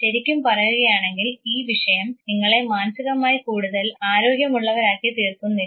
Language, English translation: Malayalam, So, frankly speaking this subject does not necessarily make you psychologically healthier